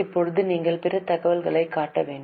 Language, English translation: Tamil, Now you have to show other information